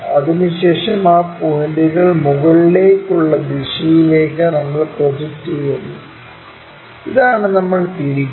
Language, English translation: Malayalam, Then, we project those points in the upward direction towards this, and this one what we are rotating